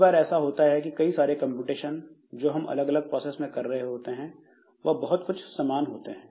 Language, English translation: Hindi, So, what happens is that many a times the computation that we are doing across different processes they are quite similar